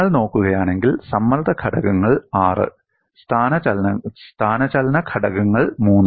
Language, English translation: Malayalam, See if you look at, the strain components are six; the displacement components are three